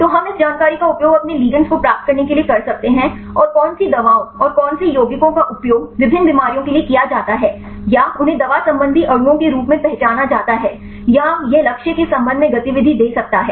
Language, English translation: Hindi, So, we can use this information to get these your ligands and which drugs and which compounds are used for different diseases or they identified as the drug related molecules or it can give the activity with respect to a target